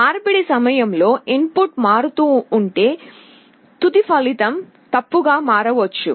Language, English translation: Telugu, During conversion if the input itself is changing, the final result may become erroneous